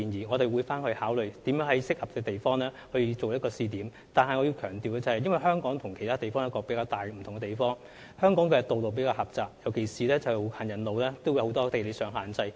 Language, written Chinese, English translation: Cantonese, 我們會考慮如何在合適之處闢設一個試點，但我必須強調，香港與其他地方一個較大不同之處，是香港的道路比較狹窄，特別是本地的行人路有很多地理上的限制。, We will consider how we can identify a suitable trial spot for the purpose but I have to emphasize that a major difference between Hong Kong and other places is that roads in Hong Kong are relatively narrower and in particular there are many geographical constraints in our pavements in Hong Kong